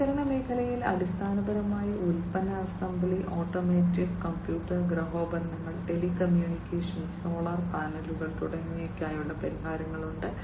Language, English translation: Malayalam, So, in the innovation sector basically, they have solutions for product assembly, automotive, then computer, home appliance, telecommunication, solar panels and so on